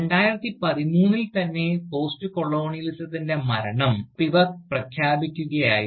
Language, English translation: Malayalam, So, and Spivak was announcing the death of Postcolonialism, in 2013